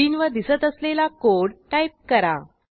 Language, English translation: Marathi, Type the following code as displayed on the screen